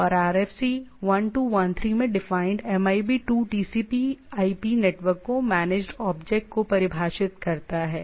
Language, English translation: Hindi, And MIB 2 defined in RFC 1213 defines the managed objects of the TCP/IP network